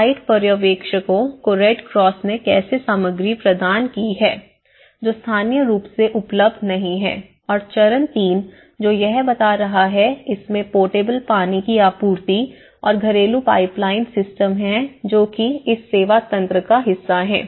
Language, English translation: Hindi, So, then the site supervisors and again the materials, how the Red Cross has provided the materials, which are not available locally and the stage three, which is talking about the completion which has the portable water supply and the household plumbing systems which onto the service mechanism part of it